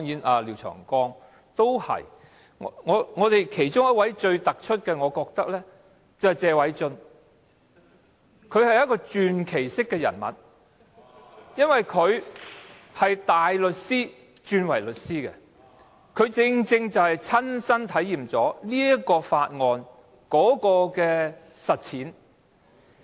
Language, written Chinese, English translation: Cantonese, 我認為最突出的要算是謝偉俊議員，他是傳奇人物，原因是他由大律師轉業為律師，正好親身體驗這項附屬法例的實踐。, Among them I think Mr Paul TSE is the most outstanding one . He is a legend as he gave up being a barrister and became a solicitor . He had personal experience in respect of the provision of this subsidiary legislation